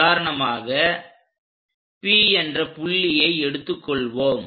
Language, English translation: Tamil, For example, let us pick a point P